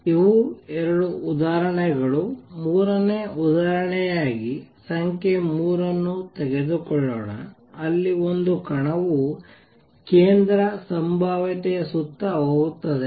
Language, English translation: Kannada, It is the two examples; third example let us take example number 3 where a particle is going around the central potential